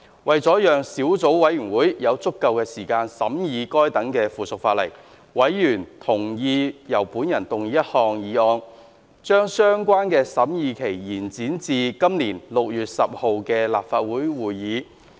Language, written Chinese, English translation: Cantonese, 為了讓小組委員會有足夠時間審議該等附屬法例，委員同意由我動議一項議案，將相關的審議期延展至本年6月10日的立法會會議。, In order to give the Subcommittee sufficient time to scrutinize the subsidiary legislation members agreed that I move a motion to extend the scrutiny period to the Legislative Council meeting on 10 June 2020